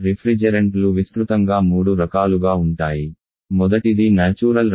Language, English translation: Telugu, Refrigerants can broadly of 3 types the first one is natural refrigerant